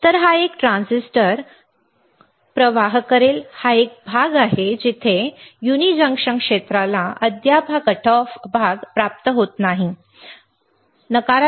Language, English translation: Marathi, So, a transistor will turn on this is a region where uni junction region does not yet receive this cutoff region you can see here